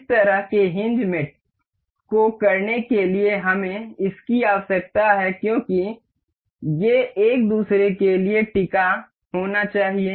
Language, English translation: Hindi, To do to do this kind of mate, we need this because these are supposed to be hinged to each other